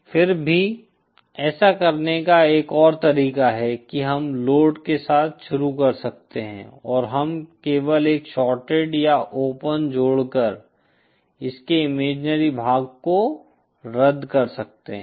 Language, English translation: Hindi, Yet another way of doing it could be we start with a load and we simply cancel its imaginary part by either adding a shorted or open